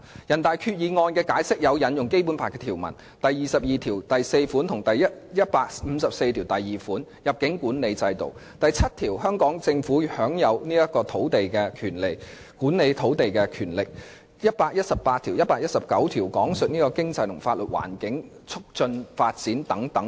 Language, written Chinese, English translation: Cantonese, 人大常委會的《決定》引用了《基本法》第二十二條第四款；第一百五十四條第二款有關入境管理制度的條文；第七條有關香港政府享有管理土地的權力的條文，以及第一百一十八條和第一百一十九條關乎經濟和法律環境及促進發展等的條文。, The Decision of NPCSC has invoked Article 224 of the Basic Law; Article 1542 relating to the immigration control system; Article 7 relating to the Governments authority to manage the land as well as Articles 118 and 119 relating to the economic and legal environment and the promotion of development respectively